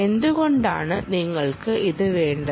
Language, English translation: Malayalam, why do you need it